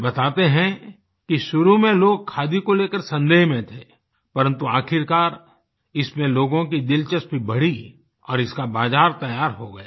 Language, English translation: Hindi, He narrates that initially the people were wary of khadi but ultimately they got interested and a market got ready for it